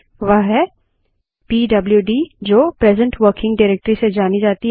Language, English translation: Hindi, It is pwd, that stands for present working directory